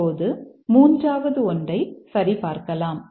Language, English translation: Tamil, Now let's check the third one